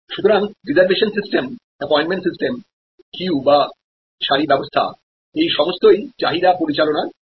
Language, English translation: Bengali, So, reservation system, appointment system, queue system these are all examples of managing demand